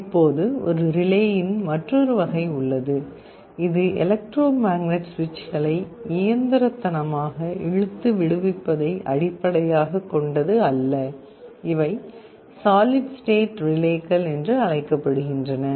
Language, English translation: Tamil, Now there is another version of a relay that is not based on electromagnets pulling and releasing the switches mechanically, but these are called solid state relays